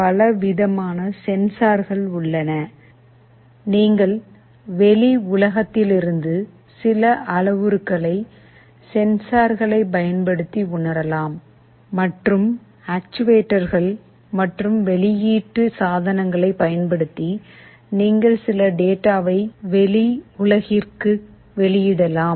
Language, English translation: Tamil, There are so many kinds of sensors, you can read some parameters from the outside world and using actuators and output devices, you can output some data to the outside world